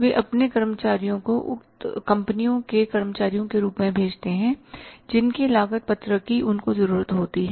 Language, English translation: Hindi, They send their employees as the employees of the company who is a cost rated is required